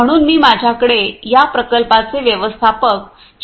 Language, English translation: Marathi, So, I have with me the manager of this plant Mr